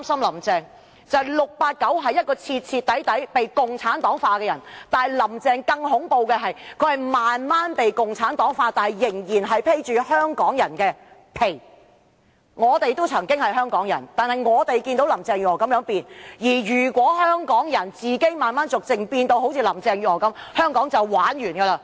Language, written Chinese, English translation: Cantonese, "689" 雖是徹頭徹尾被共產黨化的人，但"林鄭"更恐怖，她是逐漸被共產黨化，卻仍然"披着香港人的皮"，我們曾經同是香港人，亦見證了"林鄭"這種轉變，但假如所有香港人亦逐漸變得如林鄭月娥般的話，香港便完蛋了。, When compared with 689 who has completely been assimilated by the Community Party Carrie LAM is more terrible in the sense that the assimilation process is done gradually so that she is still pretending to be a Hong Kong people . Carrie LAM was once a Hong Kong people just like you and me but now we witness her transformation . If all Hong Kong people gradually become another Carrie LAM Hong Kong will be finished